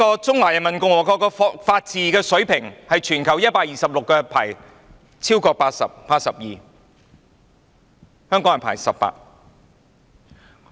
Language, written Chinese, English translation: Cantonese, 中華人民共和國的法治水平在全球126個國家或地區中排名 82， 香港排名18。, The standard of the rule of law in the Peoples Republic of China ranks 82 among 126 countries or territories whereas Hong Kong ranks 18